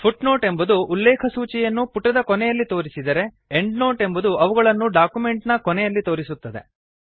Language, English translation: Kannada, Footnotes appear at the bottom of the page on which they are referenced whereas Endnotes are collected at the end of a document